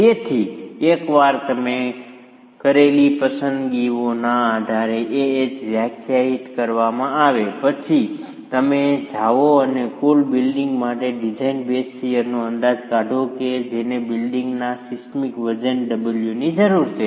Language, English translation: Gujarati, So, once AHH is defined based on the choices you have made, you then go and estimate the design base share for the total building which requires the seismic weight W of the building